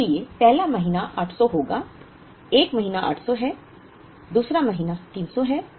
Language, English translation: Hindi, So, the first month will be 800, 1st month is 800 2nd month is 300